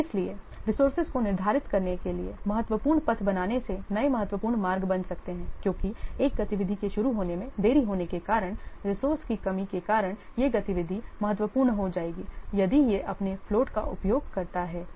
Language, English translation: Hindi, So, creating critical paths, scheduling the resources can create new critical paths because delaying the start of one activity because of lack of resource will cause that activity to become critical if it uses its float